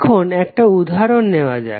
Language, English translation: Bengali, Now let’s take one example